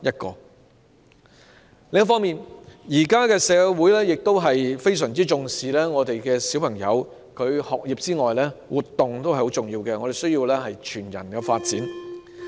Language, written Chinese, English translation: Cantonese, 另一方面，現今社會除了非常重視學童的學業之外，亦強調全人發展，活動同樣重要。, Meanwhile apart from attaching great importance to students academic performance society also emphasizes whole - person development nowadays